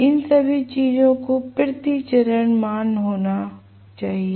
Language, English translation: Hindi, So, all these values have to be per phase values